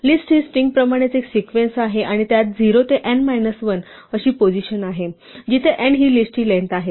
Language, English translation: Marathi, A list is a sequence in the same way as a string is and it has positions 0 to n minus 1 where n is the length of the list